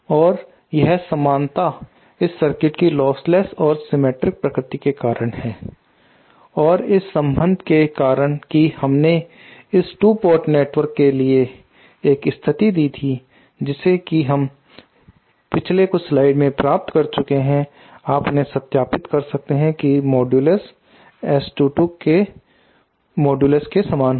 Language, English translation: Hindi, And this similarity is because of this the lostless and reciprocal nature of this circuit and due to the relationship that we had give it a condition for 2 port network just we that had derived earlier a few slides early you can verify them that this modulus of this will be same as the modulus of S 2